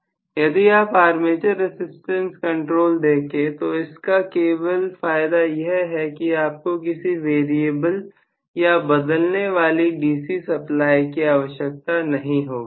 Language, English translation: Hindi, See armature resistance control only advantage is you do not have to have a variable DC supply at all